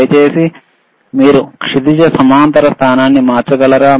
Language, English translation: Telugu, cCan you change the horizontal position please,